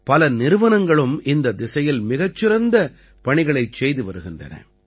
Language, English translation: Tamil, Many institutes are also doing very good work in this direction